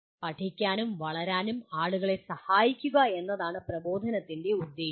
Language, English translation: Malayalam, Purpose of instruction is to help people learn and develop